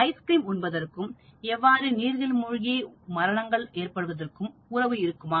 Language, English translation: Tamil, There is a positive correlation between ice cream consumption and number of drowning deaths in a given period